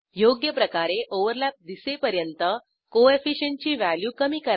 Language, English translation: Marathi, Reduce the Coefficient value till you see a proper overlap